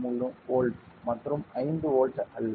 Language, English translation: Tamil, 3 volt and not 5 volts